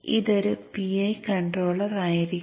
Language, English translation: Malayalam, So this would be a PI controller